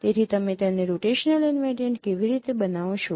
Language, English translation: Gujarati, So how do you make it rotational invariant